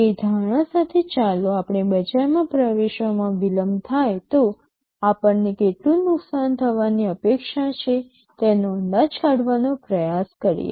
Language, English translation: Gujarati, With that assumption let us try to estimate how much loss we are expected to incur if there is a delay in entering the market